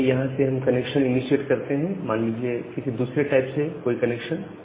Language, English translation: Hindi, So, let us initiate the connection from here another connection say from another tab